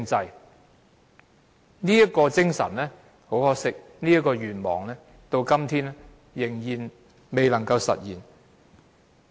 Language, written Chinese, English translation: Cantonese, 很可惜，這種精神和這個願望到今天仍然未能夠實現。, To our great regret this spirit and wish have still not been manifested to date